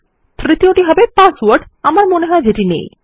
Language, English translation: Bengali, The third one is the password which I believe I dont have